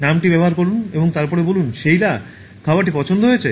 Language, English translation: Bengali, Use the name and then, How did you like the food Sheila